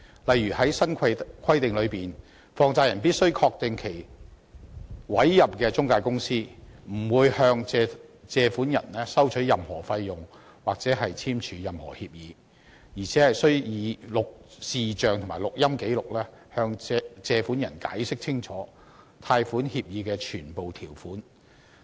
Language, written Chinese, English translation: Cantonese, 例如，在新規定下，放債人必須確定其委任的中介公司不會向借款人收取任何費用或簽署任何協議，而且須以視像和錄音記錄，向借款人清楚解釋貸款協議的全部條款。, For instance under the new requirements money lenders must ensure that their appointed intermediaries will not levy any charges on or sign any agreements with borrowers . Moreover borrowers shall be given clear explanations of all clauses of their loan agreements and videos and recordings shall be made for such purposes